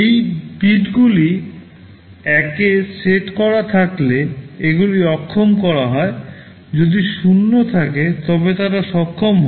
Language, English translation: Bengali, If these bits are set to 1, these are disabled; if there is 0, they are enabled